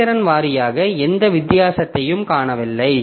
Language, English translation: Tamil, So, performance wise, we do not see any difference